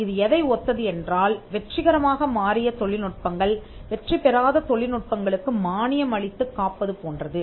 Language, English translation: Tamil, So, its kinds of subsidizes the it is like the successful technology subsidizing the ones that do not become successful